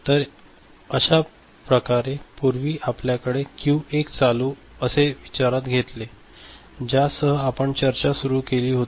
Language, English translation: Marathi, So, that way earlier Q1 was ON the consideration that we had, with which we had started the discussion